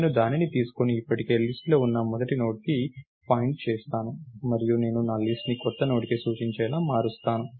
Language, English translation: Telugu, I will take that and point to the first Node that is already in the list, and I would I change myList to point to the new Node